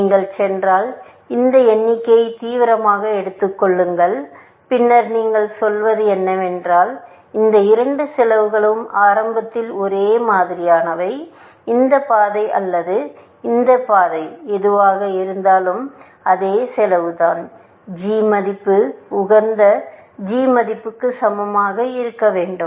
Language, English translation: Tamil, If you go, take this figure seriously, then essentially, what you are saying is that both these costs are initially of the same, this thing, whether this path or this path, it is the same cost; g value must equal to the optimal g value